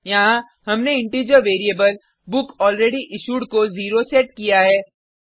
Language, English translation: Hindi, Here, we have set an integer variable bookAlreadyIssued to 0